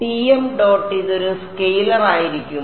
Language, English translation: Malayalam, So, Tm dot this is going to be a scalar